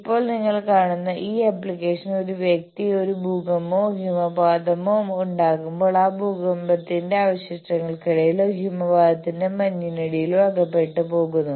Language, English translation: Malayalam, Now, application you see when a person, suppose there is an earthquake or an avalanche and then a person is buried under that earthquake, debris or due to the snow of the avalanche